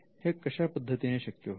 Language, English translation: Marathi, Now how is this done